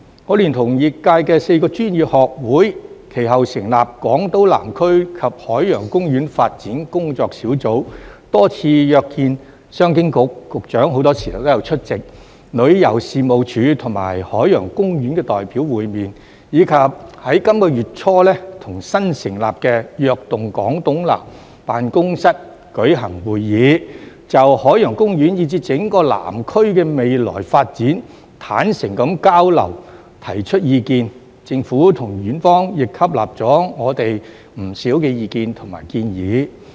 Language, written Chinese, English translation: Cantonese, 我聯同業界4個專業學會其後成立港島南區及海洋公園發展工作小組，多次約見商務及經濟發展局——局長很多時候也有出席——旅遊事務署和海洋公園的代表，以及在本月初與新成立的躍動港島南辦公室官員舉行會議，就海洋公園以至整個南區的未來發展坦誠地交流和提出意見，政府和園方亦吸納了我們不少意見和建議。, Four professional institutes in the sector and I subsequently formed a working group on the development of the Southern District of Hong Kong Island and Ocean Park and we scheduled meetings with representatives from the Commerce and Economic Development Bureau―the Secretary was often present―the Tourism Commission and Ocean Park a number of times . In addition we met with officials of the newly - established Invigorating Island South Office early this month . During the meeting we had a frank exchange of ideas on the future development of Ocean Park and the entire Southern District